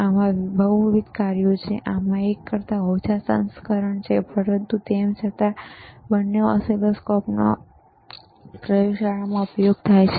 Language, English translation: Gujarati, tThis has multiple functions, fewer better version than this one, but still both the both the oscilloscopes are used in the laboratory